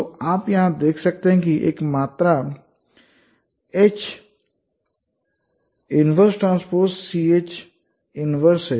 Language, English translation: Hindi, So you can see here there is a quantity H minus T C H inverse